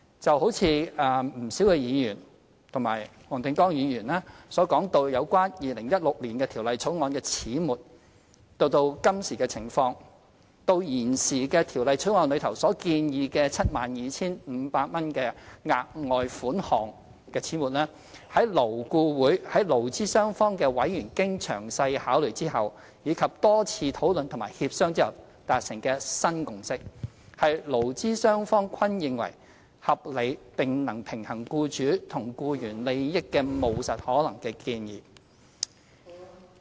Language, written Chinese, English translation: Cantonese, 就如不少議員和黃定光議員所講到有關2016年的條例草案的始末到今時的情況，即到現時的《條例草案》中所建議的 72,500 元額外款項的始末，勞顧會在勞資雙方的委員經詳細考慮後，以及多次討論和協商後達成的新共識，是勞資雙方均認為合理並能平衡僱主和僱員利益的務實可行的建議。, Many Members and Mr WONG Ting - kwong mentioned the development from the 2016 Bill to the present particularly how we arrived at the amount of 72,500 for the further sum proposed in the Bill . The amount is the new consensus reached by members of LAB representing the employers and the employees after thorough consideration and numerous discussions and negotiations . It is a practical and feasible proposal which is considered reasonable by both the employers and the employees; and it strikes a balance between the interests of both sides